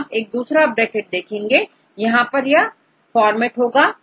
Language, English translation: Hindi, So, you can see another bracket here then we can say this is the format